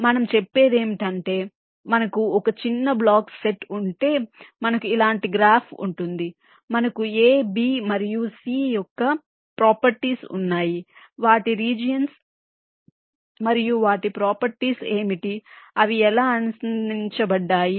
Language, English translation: Telugu, ok, so what we saying is that if we have a small set of blocks, we have a graph like this, we have the properties of a, b and c, what are their areas and their properties, how they are connected